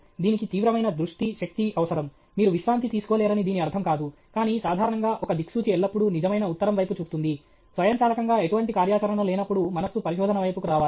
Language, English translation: Telugu, It requires intense focus, energy; it doesn’t mean that you cannot relax, you can relax, but generally just like a compass will always point towards true north, whenever there is no activity automatically the mind should come towards research